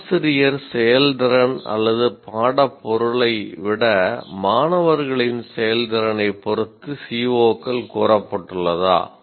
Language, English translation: Tamil, stated in terms of student performance rather than the teacher performance or subject matter to be covered